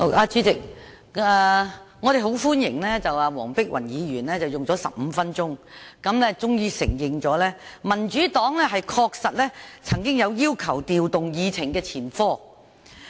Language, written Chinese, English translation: Cantonese, 主席，我們很歡迎黃碧雲議員用了15分鐘，終於承認民主黨確實有要求調動議程的前科。, Chairman after Dr Helena WONG has spoken for 15 minutes she finally admitted that the Democratic Party had once requested to rearrange the order of agenda items . We welcome her admission